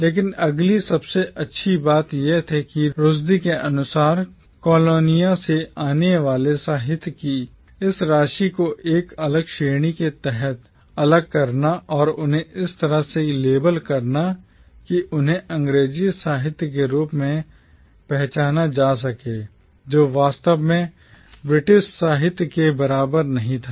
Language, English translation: Hindi, But the next best thing was, according to Rushdie, to separate this amount of literature coming from the colonies under a separate category and to label them in a manner that they can be identified as English literature which was not really at par with British literature